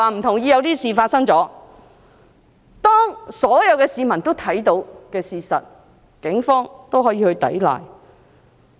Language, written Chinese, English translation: Cantonese, 對於所有市民都看到的事實，警方都可以否認。, The Police can deny the facts as witnessed by all civilians